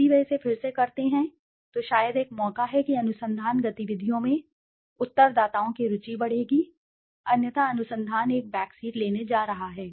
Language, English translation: Hindi, If they do it again maybe there is a chance that respondents interest in research activities will increase otherwise research is going to take a backseat